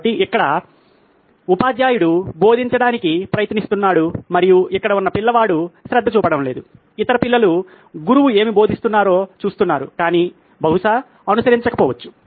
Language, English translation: Telugu, So, here the teacher is trying to teach and the child here is not paying attention, may be the other children are looking at what the teacher is teaching but probably are not following